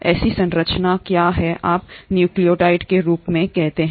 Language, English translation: Hindi, Such a structure is what you call as the nucleoid